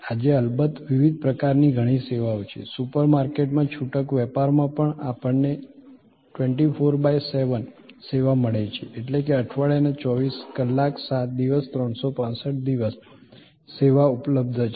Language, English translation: Gujarati, Today of course, there are many different types of services, even in retail merchandising in super market we get 24 by 7 service; that means, 24 hours 7 days a week 365 days the year the service is available